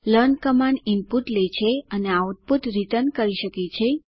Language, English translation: Gujarati, learn Command can takes input and returns output